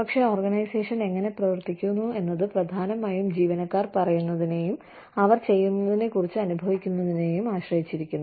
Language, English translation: Malayalam, But, how the organization runs, has to depend largely on, what employees say and feel about, what they are doing